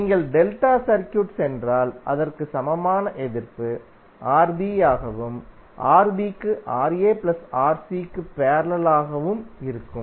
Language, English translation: Tamil, And if you go to the delta circuit, the equivalent resistance would be Rb and Rb will have parallel of Rc plus Ra